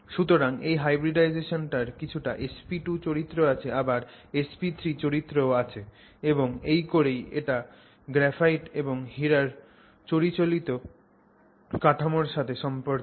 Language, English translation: Bengali, And so it's got a hybridization which is partly which shows partly SP2 character and partly SP3 character and that's how it relates to the two structures, traditional structures of the graphite and diamond